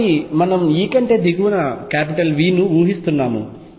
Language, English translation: Telugu, So, we are considering E is below V